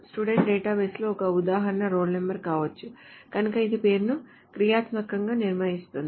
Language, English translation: Telugu, An example in a student database may be role number so it functionally determines the name